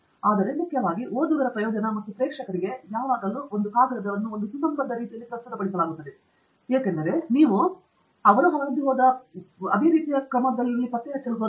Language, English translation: Kannada, But most importantly for the benefit of readership and the audience always the paper is presented in a coherent manner, because you don’t want the reader to go through the same torture that you have gone through in discovering this